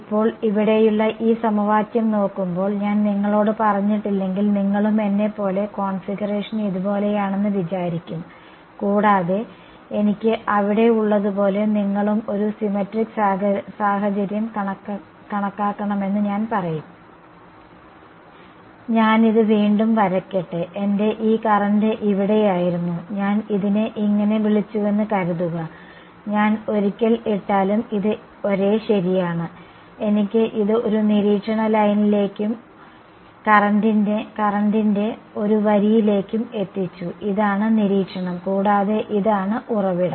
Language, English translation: Malayalam, Now looking at this equation over here you may as well I mean if I did not tell you that the configuration was like this and I told you consider a symmetric situation like this where I have this; let me draw it again right this was my current over here, supposing I called it like this, it’s the same right whether I put the once, I have got it down to one line of observation and one line of current right this is the observation and this is the source